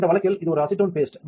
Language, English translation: Tamil, In this case it's a acetone paste